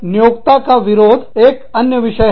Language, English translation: Hindi, Employer opposition is another issue